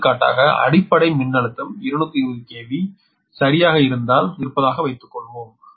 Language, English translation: Tamil, for example, suppose if base voltage is two, twenty k v, right